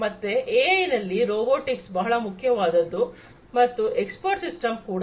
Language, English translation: Kannada, So, the in AI in robotics is very important and in expert systems